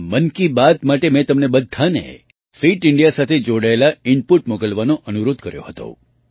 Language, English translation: Gujarati, For this 'Mann Ki Baat', I had requested all of you to send inputs related to Fit India